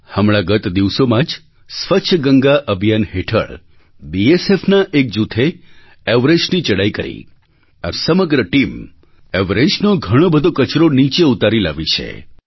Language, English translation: Gujarati, A few days ago, under the 'Clean Ganga Campaign', a group from the BSF Scaled the Everest and while returning, removed loads of trash littered there and brought it down